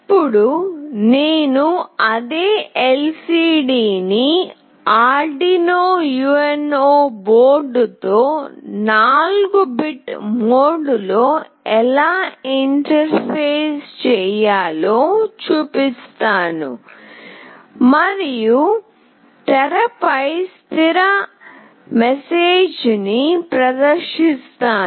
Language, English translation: Telugu, Next I will be showing, how do we interface the same LCD with Arduino UNO board in a 4 bit mode and display a fixed message on the screen